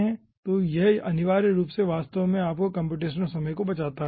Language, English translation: Hindi, so this essentially actually saves your compressional time